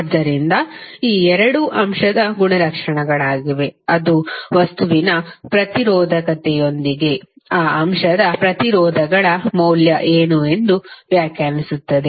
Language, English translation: Kannada, So, this 2 are the properties of that element with the resistivity of the material will define, what is the value of resistances of that element